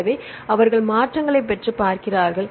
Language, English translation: Tamil, So, then they get the changes and see